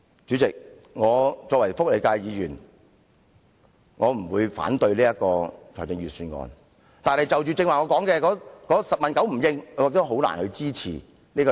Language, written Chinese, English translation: Cantonese, 主席，作為福利界議員，我不會反對預算案，但我剛才提到的事宜政府"十問九唔應"，使我難以支持預算案。, Chairman as a Member representing the social welfare sector I will not oppose the Budget but it is difficult for me to support the Budget as the Government has barely responded to the issues I have just mentioned